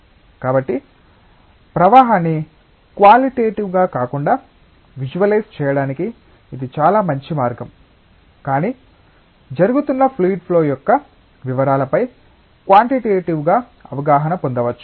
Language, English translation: Telugu, So, this is a very nice way of visualising the flow not just qualitatively, but one can get quantitative insight on the details of the fluid flow that is taking place